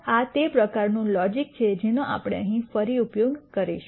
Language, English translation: Gujarati, So, that is the kind of logic that we are going to use again here